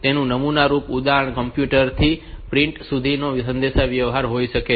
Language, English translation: Gujarati, So, typical example may be a communication from computer to printer